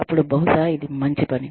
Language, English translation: Telugu, Then, maybe, it is good